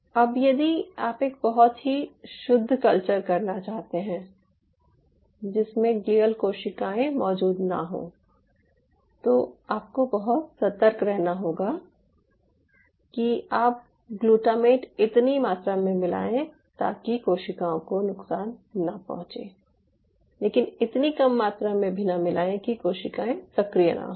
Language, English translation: Hindi, so now if you want to do a very pure culture, that you do not want any glial cells to be present there, learning have to be very cautious that you are not adding enough glutamate to damage the cells and yet you are not adding so less that the cells do not get activated